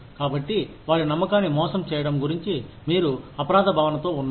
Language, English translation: Telugu, So, you feel guilty, about betraying their trust